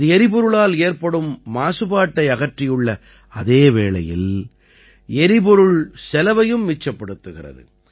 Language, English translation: Tamil, Due to this, whereas the pollution caused by fuel has stopped, the cost of fuel is also saved